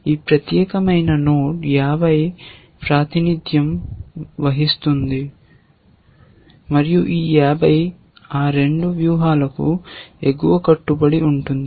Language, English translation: Telugu, This particular node 50 represents, and this 50 would be an upper bound on both those strategies